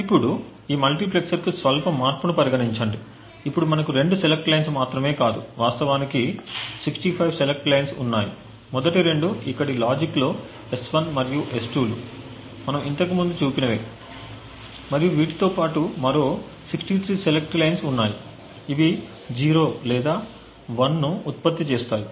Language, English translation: Telugu, Now consider a slight modification to this multiplexer, what we assume is that there is now not just two select lines but there are in fact 65 select lines, the first two are S1 and S2 which we have seen as before and besides that we have 63 other select lines which are going to a logic over here which produces either 0 or 1